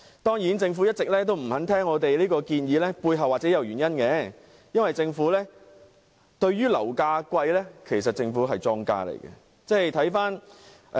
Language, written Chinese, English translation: Cantonese, 當然，政府一直沒有聽取我們這項建議，背後的原因或許是因為政府其實是樓價高企的莊家。, Of course the Government has been turning a deaf ear to our proposal and the probable underlying reason was that the Government was actually the market maker of high property prices